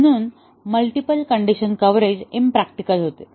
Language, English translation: Marathi, Therefore, the multiple condition coverage becomes impractical